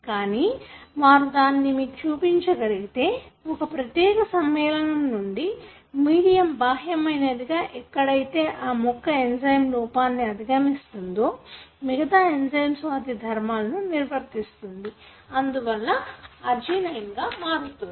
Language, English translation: Telugu, But however, they are able to show that if you give this particular compound to the medium exogenously wherein the plant can overcome the deficiency of this enzyme, still then the rest of the enzymes are functioning, therefore it can convert that into arginine